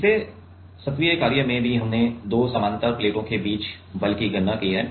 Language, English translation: Hindi, In the last assignment also we have calculated the force between the 2 parallel plates right